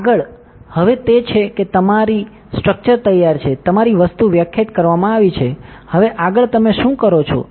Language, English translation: Gujarati, Next is now that your structure is ready, your material is defined, now next what do you do